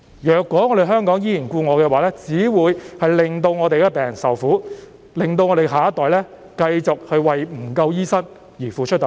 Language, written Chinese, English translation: Cantonese, 如果香港依然故我，只會令病人受苦，令我們的下一代繼續為醫生不足而付出代價。, If Hong Kong continues to stick to its own ways it will only make patients suffer and our next generation will continue to pay the price for the shortage of doctors